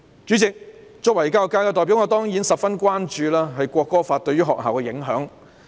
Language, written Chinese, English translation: Cantonese, 主席，作為教育界的代表，我當然十分關注《條例草案》對學校的影響。, Chairman being a representative of the education sector I am certainly very concerned about the impact of the Bill on schools